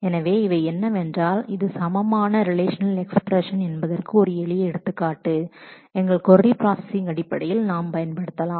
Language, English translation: Tamil, So, these are what is it is a simple example of what are equivalent relational expressions that we can make use of in terms of our query processing